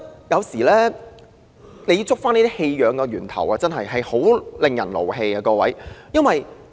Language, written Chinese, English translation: Cantonese, 有時追溯這些棄養個案的源頭故事，真的令人非常生氣。, The background story of such cases concerning the abandonment of animals can sometimes be very annoying